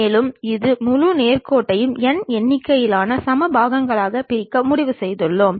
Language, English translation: Tamil, And, we have decided divide these entire straight line into n number of equal parts